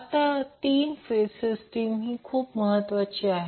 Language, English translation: Marathi, Now, 3 phase system is very important